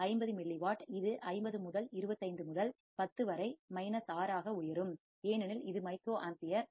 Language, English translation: Tamil, 50 milliwatt, it will be 50 into 25 into 10 raise to minus 6, because this is microampere 1